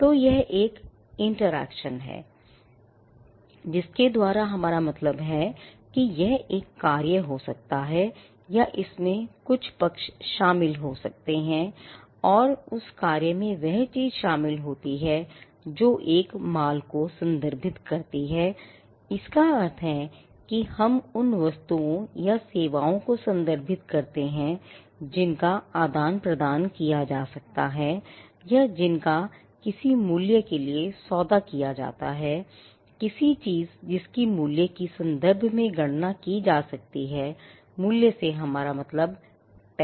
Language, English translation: Hindi, So, there is an interaction, by which we mean it could be an act or it could which involves parties and that act involves the thing and the thing, by which we mean it refers to a goods; it refers to by which we mean it refers to goods or services, which are exchanged or which are dealt with for a value and the value here is money, for something that can be computed in terms of its value, by value we mean money